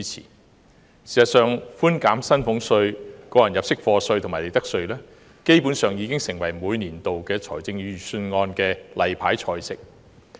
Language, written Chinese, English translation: Cantonese, 事實上，寬減薪俸稅、個人入息課稅及利得稅基本上已成為每年度預算案的"例牌菜"。, In fact reductions of salaries tax tax under personal assessment and profits tax have basically become a routine of annual budgets